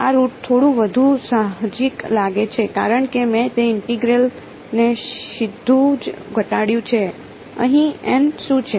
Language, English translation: Gujarati, This root seems to be little bit more intuitive because I have reduced that integral straight away what is n hat over here